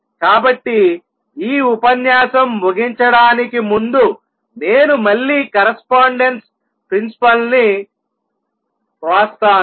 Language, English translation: Telugu, So, to conclude this lecture I will just again write the correspondence